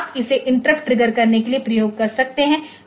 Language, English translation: Hindi, So, you can make it to trigger an interrupt